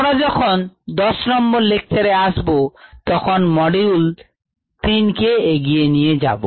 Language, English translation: Bengali, when we meet in lecture ten we will take things forward with module number three, see you